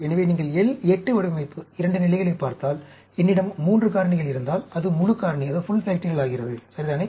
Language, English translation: Tamil, So, if you look at L 8 design, 2 levels, if I have 3 factors, it becomes full factorial, right